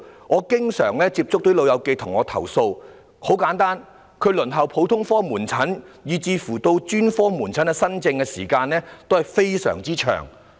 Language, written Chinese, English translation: Cantonese, 我經常接觸的"老友記"向我投訴，他們輪候普通科門診以至專科門診新症的時間均非常長。, The elderly with whom I am in frequent contact have complained to me that their waiting time for first consultation appointments at general outpatient and specialist outpatient clinics is very long